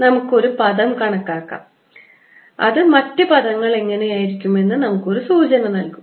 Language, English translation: Malayalam, lets calculate one of the terms and that'll give us an idea what the other terms will be like